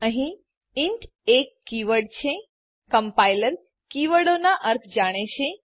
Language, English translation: Gujarati, Here, int is a keyword The compiler knows the meaning of keywords